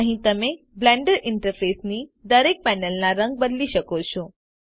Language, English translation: Gujarati, Here you can change the color of each panel of the Blender interface